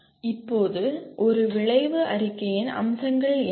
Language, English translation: Tamil, And now what are the features of an outcome statement